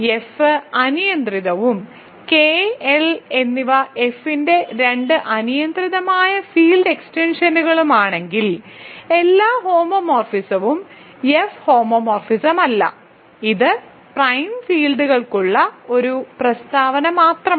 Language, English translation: Malayalam, If F is arbitrary and K and L are two arbitrary field extensions of F not every homomorphism is necessarily an F homomorphism, this is only a statement for prime fields, ok